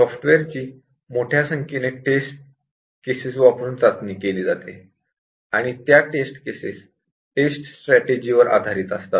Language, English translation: Marathi, Software is tested using a large number of test cases, which are designed based on some tests strategy